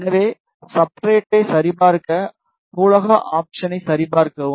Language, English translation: Tamil, So, just to check the substrate, check in the library option